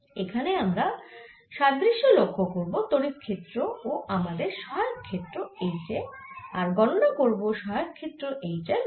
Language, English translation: Bengali, here we will make an analogy with that electric field and our auxiliary field h and find out the value of auxiliary field